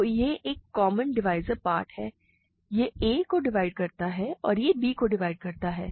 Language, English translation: Hindi, So, this is a common divisor part, it divides a and it divides b